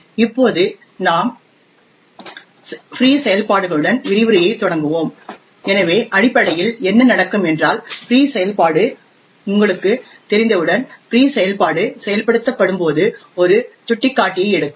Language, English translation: Tamil, Now today we will start the lecture with the free functions, so essentially what could happen when the free function gets invoked as you know the free function would take a pointer